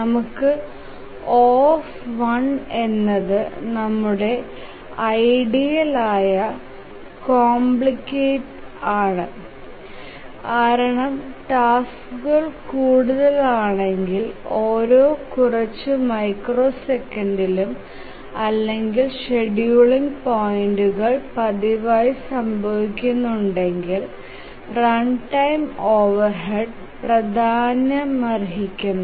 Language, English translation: Malayalam, We should ideally have O1 as the complexity because if the tasks are more and the scheduling points occur very frequently every few microseconds or so, then the runtime overhead becomes significant